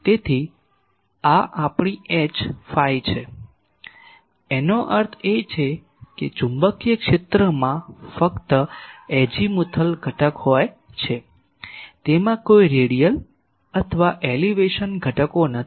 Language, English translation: Gujarati, So, this is our H phi that means, the magnetic field only have an azimuthal component, it does not have any radial or elevation components